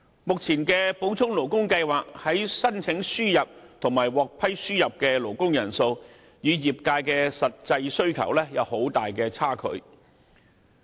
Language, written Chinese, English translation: Cantonese, 現時按照補充勞工計劃申請輸入和獲批輸入的勞工人數，與業界的實際需求有很大差距。, There is a huge gap between the number of appliedapproved cases under the Supplementary Labour Scheme and the actual demand of the industry